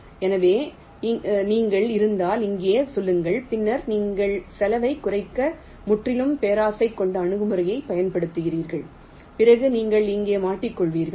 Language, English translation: Tamil, so if you are, say, here and then you are using a pearly gradient approach to decrease the cost, then you will get stuck here